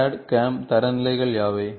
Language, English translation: Tamil, what are the CAD, CAM standards